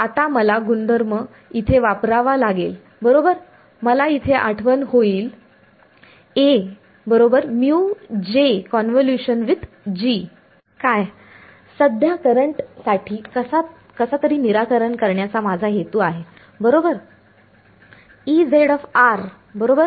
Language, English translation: Marathi, Now I have to use this property over here right, I will remember what my objective is to somehow solve for the current right